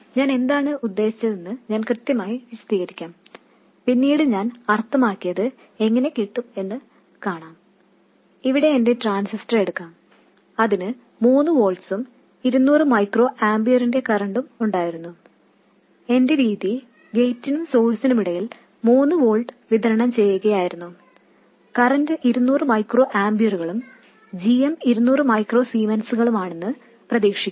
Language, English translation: Malayalam, What I mean in this case is that I take my transistor, remember originally it had to have 3 volts and a current of 200 microamperors and my method was to just apply 3 volts between gate and source and hope that the current is 200 microamperes and GM is 200 microzymes and so on